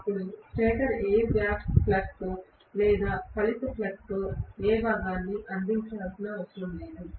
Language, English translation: Telugu, Then stator need not provide any component in the air gap flux or in the resultant flux